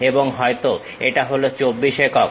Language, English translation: Bengali, And, perhaps this one 24 units